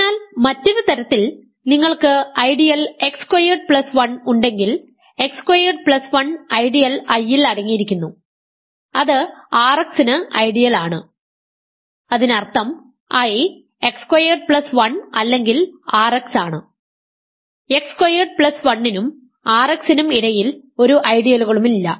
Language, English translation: Malayalam, So, in other words if you have an ideal x squared plus, I, x squared plus 1 contained in an ideal I which is an ideal of R x; that means, I is x squared plus 1 or I is R x there are no ideals between x squared plus 1 and R x that are different from a both of them